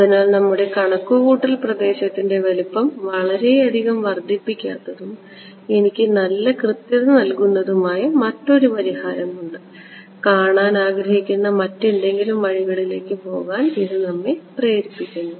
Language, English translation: Malayalam, So, this motivates us to go for something else we want to find a see there is another solution that does not increase the size of my computational domain a lot and gives me good accuracy ok